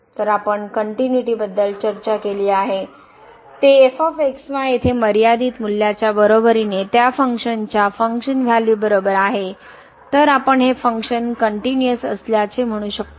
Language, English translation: Marathi, So, we have discuss the continuity; that is equal to the limiting value here is equal to the function value of the of that function, then we call that the function is continuous